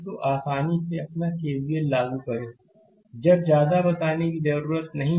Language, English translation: Hindi, So, you can now easily apply your KVL, I need not I need not tell much now, right